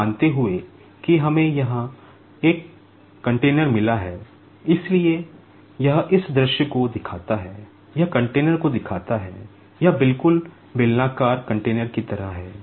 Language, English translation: Hindi, Supposing that we have got a container here, so this shows this view, this shows the container, it is just like cylindrical container sort of thing